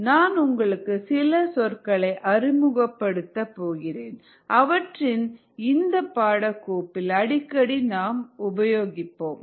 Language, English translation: Tamil, ok, let me introduce some terms that will be using frequently in this course